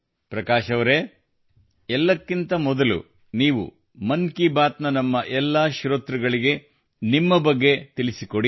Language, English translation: Kannada, Prakash ji, first of all tell about yourself to all of our listeners of 'Mann Ki Baat'